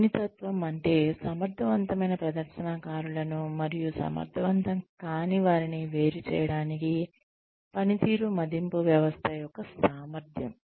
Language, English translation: Telugu, Sensitivity means, the capability of a performance appraisal system, to distinguish effective from in effective performers